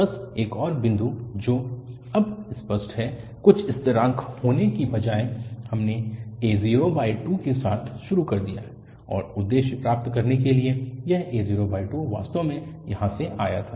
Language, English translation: Hindi, Just one more point which must be clear now that instead of this having some constant, we have started with a0 by 2, and the aim was to have this a0 by 2 exactly come from here